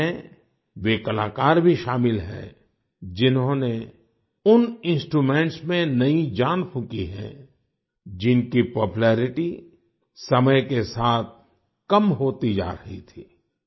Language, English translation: Hindi, These also include artists who have breathed new life into those instruments, whose popularity was decreasing with time